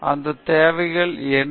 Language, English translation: Tamil, What those requirements are